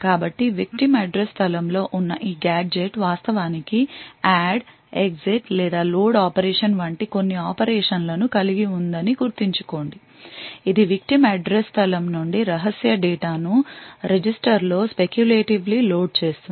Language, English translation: Telugu, So, recall that this gadget which is present in the victim's address space is actually having some operations like add, exit or something followed by a load operation which would speculatively load secret data from the victim's address space into a register